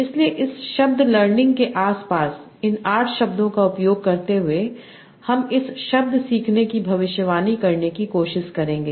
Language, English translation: Hindi, So using these eight words around this word learning, I will try to predict this word learning